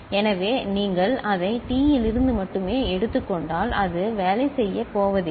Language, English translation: Tamil, So, if you only take it from T, it is not going to work